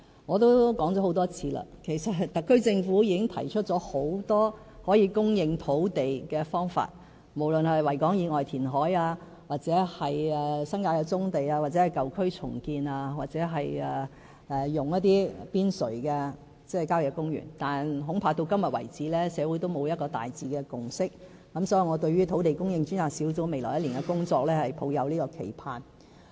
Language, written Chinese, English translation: Cantonese, 我也多次說過，其實特區政府已提出了很多可以供應土地的方法，例如在維多利亞港以外填海、新界的"棕地"、舊區重建，或使用郊野公園邊陲地帶土地，但至今為止，社會恐怕仍沒有一個大致的共識，所以我對於土地供應專責小組未來1年的工作抱有期盼。, I have said many times before that the SAR Government has already proposed many ways to increase land supply such as reclamation outside Victoria Harbour using the brownfield sites in the New Territories the redevelopment of old districts or making use of the sites on the periphery of country parks . But society has not yet forge a general consensus . Therefore I do hope that the Task Force on Land Supply can work out something in the coming year